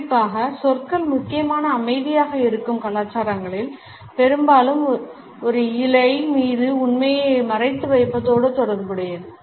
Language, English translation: Tamil, Particularly in those cultures where words are important silence is often related with the concealment of truth passing on a fib